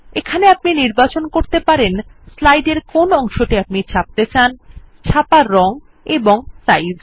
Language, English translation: Bengali, Here you can choose the parts of the slide that you want to print, the print colours and the size